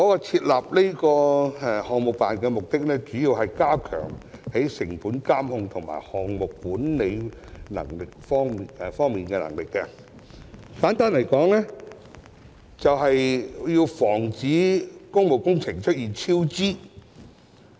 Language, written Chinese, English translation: Cantonese, 設立項目辦的主要目的是加強成本監控和項目管理的能力，簡單來說就是要防止工務工程出現超支。, PSGO was established mainly for enhancing capabilities in cost surveillance and project governance and to put it simply its main purpose is to prevent cost overruns of works projects